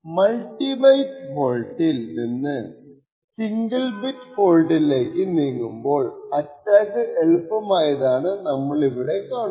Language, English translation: Malayalam, What we see over here is that as we move from the multi byte fault to a bit fault model the attack becomes much easy